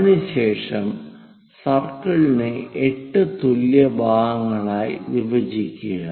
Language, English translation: Malayalam, After that, divide the circle into 8 equal parts